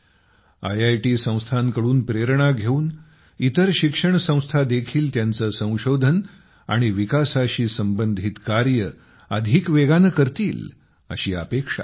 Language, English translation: Marathi, I also hope that taking inspiration from IITs, other institutions will also step up their R&D activities